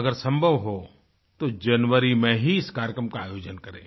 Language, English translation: Hindi, If possible, please schedule it in January